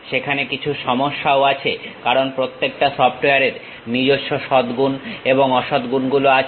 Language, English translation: Bengali, There are some issues also because every software has its own merits and also demerits